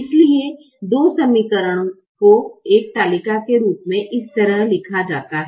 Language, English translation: Hindi, so the two equations are written this way, in the form of a table